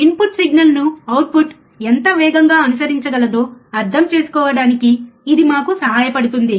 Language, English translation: Telugu, It can help us to understand, how fast the output can follow the input signal